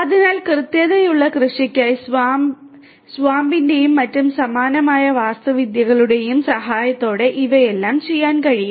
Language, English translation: Malayalam, So, all of these things can be done with the help of SWAMP and similar other architectures for precision agriculture